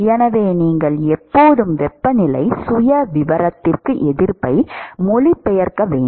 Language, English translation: Tamil, So, you should always translate resistances to the temperature profile